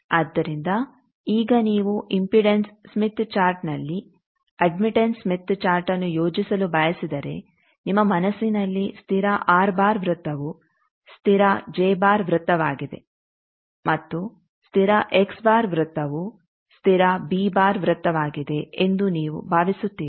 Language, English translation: Kannada, So, now you think that in impedance smith chart if you want to plot an admittance smith chart then in your mental plain in you will up to thing that constant R bar circle is constant j bar circle and constant X bar circle is constant B bar circle